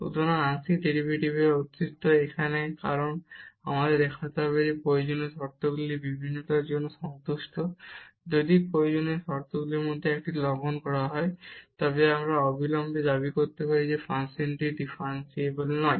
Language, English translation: Bengali, So, the existence of partial derivative now because we have to show that the necessary conditions are satisfied for differentiability, if one of the necessary conditions violated then we can immediately claim that the function is not differentiable